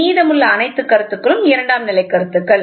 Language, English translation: Tamil, Rest all points are secondary points